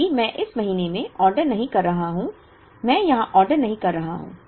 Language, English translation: Hindi, Because, I am not ordering in this month, I am not ordering here